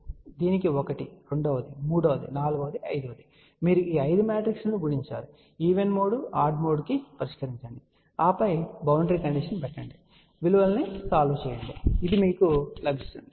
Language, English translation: Telugu, So, one for this, second, third, fourth, fifth, you multiply all those 5 matrices, do the solution for even mode odd mode and then put the boundary condition, solve the values and this is what you will get